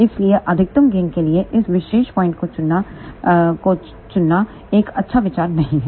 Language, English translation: Hindi, So, it is not a good idea to choose this particular point for maximum gain